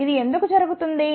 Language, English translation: Telugu, Why does this happen